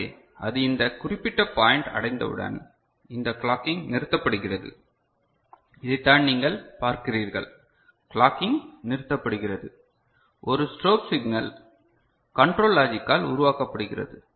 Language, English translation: Tamil, So, once you know it reached, it reaches this particular point and this clocking gets stopped right; so, this is what you see the clocking gets stopped, a strobe signal is generated by the control logic ok